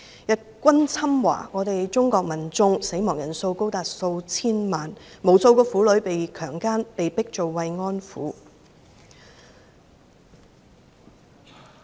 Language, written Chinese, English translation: Cantonese, 日軍侵華，中國民眾死亡人數高達數千萬，無數婦女被強姦、被迫做慰安婦。, The invasion of China by the Japanese armies resulted in the deaths of tens of millions of Chinese people and countless women were raped and forced to become comfort women